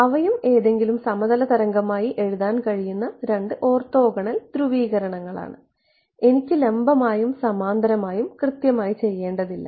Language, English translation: Malayalam, Those are also two orthogonal polarizations into which any arbitrary plane wave could be written I need not do perpendicular and parallel not exactly right